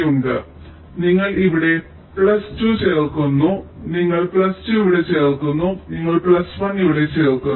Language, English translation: Malayalam, let say you add plus two here, you add plus two here, you add plus one here